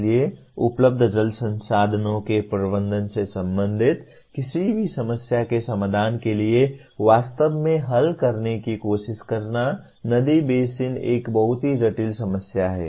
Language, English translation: Hindi, So trying to really resolve or trying to solve a problem anything related to managing available water resources, the river basin is a very very complex problem